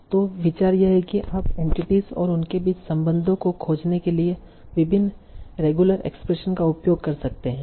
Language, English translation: Hindi, So, why it is you can use various regular expressions for finding entities and the relations between them